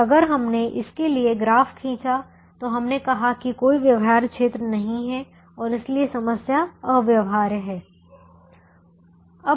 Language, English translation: Hindi, and if we drew the graph for this, we said there is no feasible region and therefore the problem infesaible